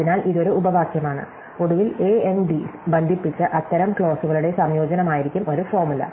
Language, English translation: Malayalam, So, this is a clause and in finally, a formula will be a combination of such clauses connected by AND